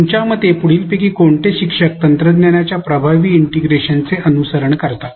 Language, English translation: Marathi, According to you which of the following instructors seem to follow effective integration of technology